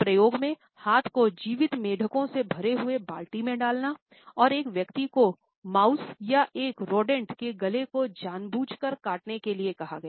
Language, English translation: Hindi, An experiment included putting once hands in a bucket full of live frogs and ultimately he asked a person to deliberately cut the throat of a mouse or a rodent